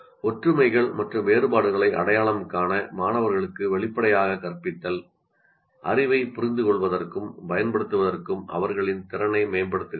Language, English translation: Tamil, Explicitly teaching students to identify similarities and differences enhances their ability to understand and use knowledge